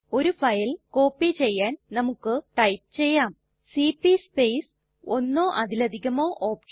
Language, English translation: Malayalam, To copy a single file we type cp space one or more of the [OPTION]..